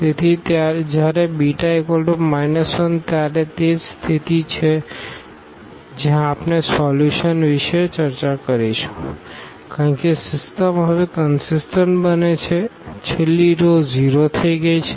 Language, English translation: Gujarati, So, when beta is equal to minus 1, this is exactly the case where we will discuss about the solution because the system becomes consistent now; the last row has become 0